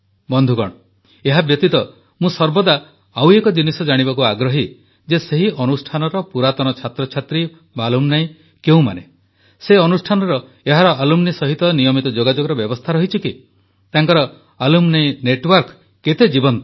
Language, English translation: Odia, besides this, I am always interested in knowing who the alumni of the institution are, what the arrangements by the institution for regular engagement with its alumni are,how vibrant their alumni network is